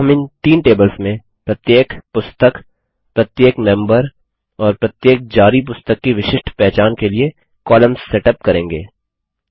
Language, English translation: Hindi, Now we also set up columns to uniquely identify each book, each member and each book issue in these three tables